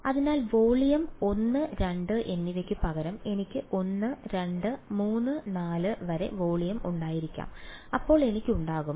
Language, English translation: Malayalam, So, instead of volume 1 and 2 I may have volume 1 2 3 4 up to n then I will have